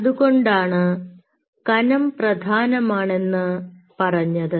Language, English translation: Malayalam, that thickness is very important